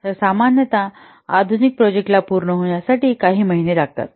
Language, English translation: Marathi, So normally the modern projects typically takes a few months to complete